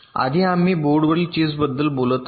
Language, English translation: Marathi, it earlier we have talking about chips on the boards